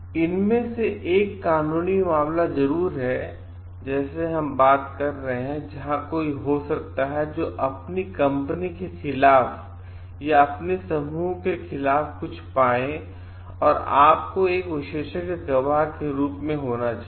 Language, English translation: Hindi, One of this is of course, like we are talking of is the legal case; where somebody may have find something against your company or against your group and you need to be there as a expert witness